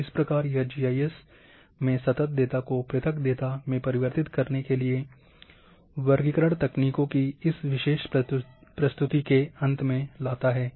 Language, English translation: Hindi, And that brings to the end of this particular presentation on classification techniques in GIS for continuous data to convert them to discrete data